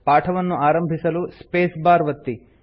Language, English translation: Kannada, To start the lesson, let us press the space bar